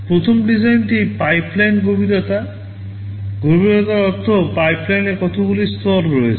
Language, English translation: Bengali, First thing is pipeline depth; depth means how many stages of the pipeline are there